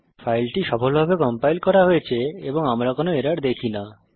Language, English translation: Bengali, The file is successfully compiled as we see no errors